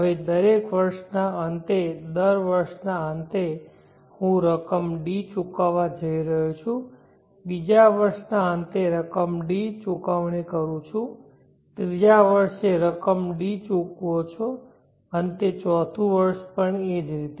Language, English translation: Gujarati, Now at the end of each year the end of every year I am going to pay an amount T, then for the second year pay an amount D, third year you pay an amount D, at the end of fourth year also similarly